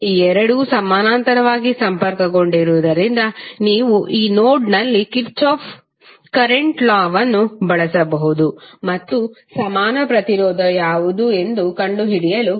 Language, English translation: Kannada, Since these two are connected in parallel, you can use the Kirchhoff’s current law at this node and try to find out what is the equivalent resistance